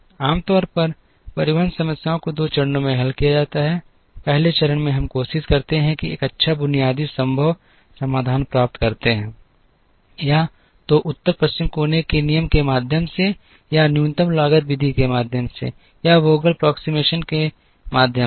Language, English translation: Hindi, Usually transportation problems are solved in two stages, in the first stage we try and get a good basic feasible solution; either through the North West corner rule, or through the minimum cost method, or through the Vogel's approximation method